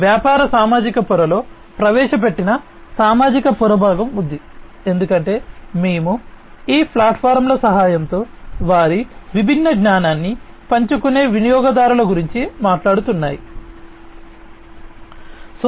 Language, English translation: Telugu, There is a social layer component that is introduced in the business social layer; because we are talking about employees we are talking about users who will share their different knowledges with the help of these platforms